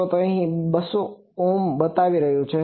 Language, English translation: Gujarati, So, here it is showing that 200 Ohm